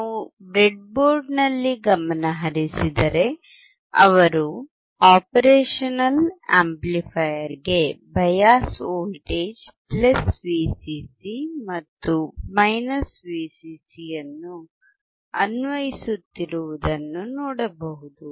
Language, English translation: Kannada, If we can focus on the breadboard, he will be applying a bias voltage +VCC and VCC to the operational amplifier